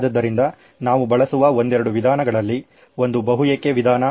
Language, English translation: Kannada, So we employed couple of methods one was the multi why approach